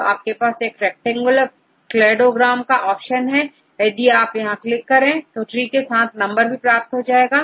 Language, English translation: Hindi, So, here is that option called rectangular cladogram, if you click on that then we will get this with numbers